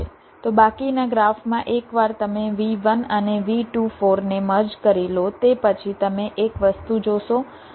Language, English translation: Gujarati, so in the remaining graph, well, once you, you see one thing: once you merge v one and v two, four, you get v two, four, one